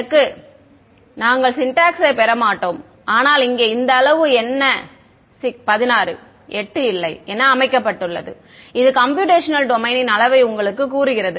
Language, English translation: Tamil, So, we would not get into syntax, but what is being set over here this size is 16 8 no size this is telling you the size of the computational domain